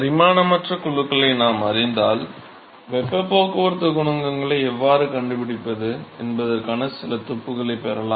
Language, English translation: Tamil, So, therefore, if we know the dimension less groups, then we can get some clue as to how to find the heat transport coefficients